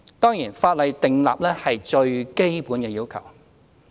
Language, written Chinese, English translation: Cantonese, 當然，法例訂立的是最基本的要求。, Of course stipulated in the law are the most basic requirements